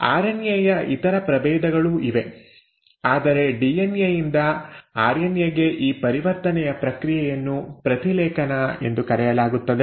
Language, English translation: Kannada, There are other species of RNA as well, but this conversion from DNA to RNA is process one which is called as transcription